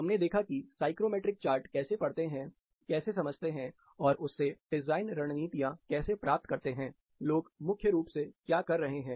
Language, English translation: Hindi, We looked at how it is read in a psychrometric chart, then how do we interpret and get design strategies what people were primarily doing